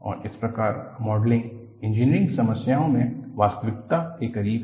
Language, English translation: Hindi, And, thus is closer to reality in Modeling Engineering problems